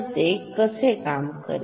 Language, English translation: Marathi, Now how what is V P